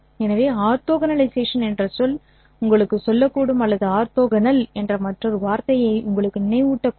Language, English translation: Tamil, So, this word orthogonalization might tell you or might remind you of another word orthogonal